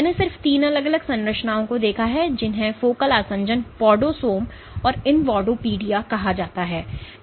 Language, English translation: Hindi, So, I have just jotted down three different structures called focal adhesions podosomes and invadopodia